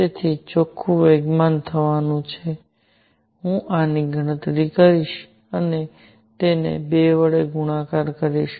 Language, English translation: Gujarati, So, net momentum is going to be I will calculate this and multiply it by 2